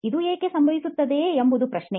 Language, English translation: Kannada, The question why this happens